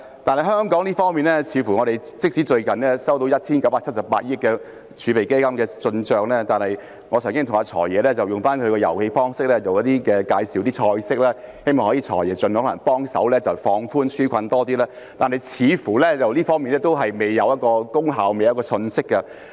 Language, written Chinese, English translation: Cantonese, 反觀香港，即使最近有 1,978 億元的外匯基金投資收益，但我曾經向"財爺"——用他的遊戲方式——介紹一些"菜式"，希望"財爺"可以盡量幫忙，進一步放寬紓困措施的門檻，這方面似乎還是未有成效和消息。, On the contrary in Hong Kong despite the fact that the Exchange Fund recorded an investment income of 197.8 billion recently and my recommendation of some dishes to the Financial Secretary―using his way of playing the game―in the hope that he could help as much as possible by further relaxing the thresholds for the relief measures it seems that there have been no results or tidings in this regard